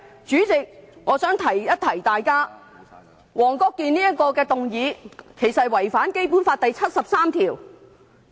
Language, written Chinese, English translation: Cantonese, 主席，我想提醒大家，黃國健議員提出的議案其實是違反了《基本法》第七十三條。, President I would like to remind Members that the motion moved by Mr WONG Kwok - kin has actually contravened Article 73 of the Basic Law